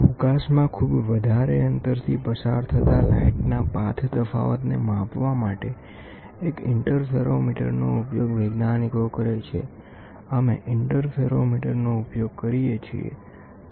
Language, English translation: Gujarati, Scientist used an interferometer to measure the path difference of light that passes through a tremendous distance in space; we use interferometers